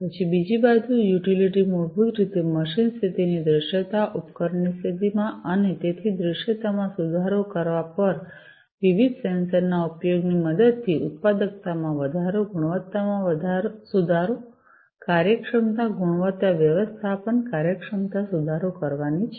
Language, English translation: Gujarati, Then second utility is basically improving the visibility of what visibility of the machine status, in the device status and so, on improving visibility, operational efficiency will also be improved with the help of use of different sensors likewise increasing productivity, improving quality, efficiency, quality management, efficiency